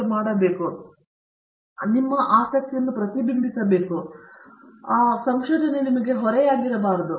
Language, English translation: Kannada, And you should, what you are doing it should reflect as your interest, should not be a burden for you